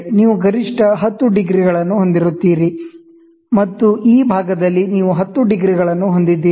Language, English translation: Kannada, And may be here, you will have maximum 10 degrees, and this side, you will have 10 degrees